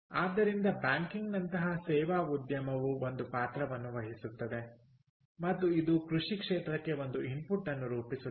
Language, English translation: Kannada, ok, so the service industry, like banking, does play a role and this forms an input to the agriculture sector